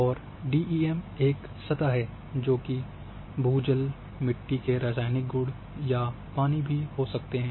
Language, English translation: Hindi, And DEM is a surface which can represent may be groundwater, maybe chemical qualities of soil, water